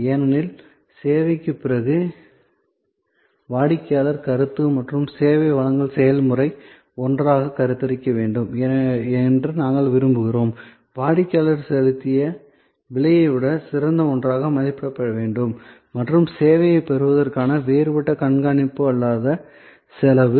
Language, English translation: Tamil, Because, we want that the customer perception after service and the service delivery process together must be conceived, must be perceived, must be evaluated as something better than the price, the customer has paid and the different non monitory other cost of acquiring the service